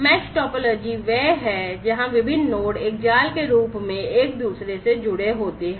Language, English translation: Hindi, Mesh topology is one where the different nodes are connected to one another in the form of a mesh